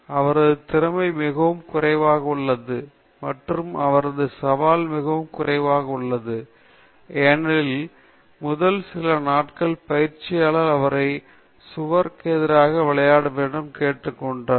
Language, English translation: Tamil, His skill is very low, and his challenge is very low, because first few days the coach will ask him to play against the wall